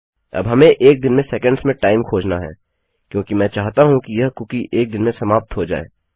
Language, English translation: Hindi, Now we need to find out the time in seconds of a day because I want this cookie to expire in a day